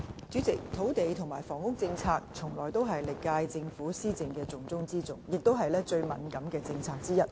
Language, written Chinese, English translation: Cantonese, 主席，土地及房屋政策從來都是歷屆政府施政的"重中之重"，也是最敏感的政策之一。, President land and housing policies have always been the top priorities for all previous terms as well as the current term of Government and they are also the most sensitive policies